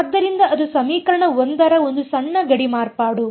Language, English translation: Kannada, So, that is the small boundary modification for equation 1